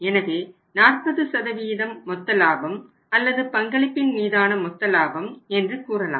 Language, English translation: Tamil, So, 40% is the gross profit or so we call it as a gross profit on contribution this is 40%